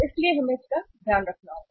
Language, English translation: Hindi, So we have to take care of it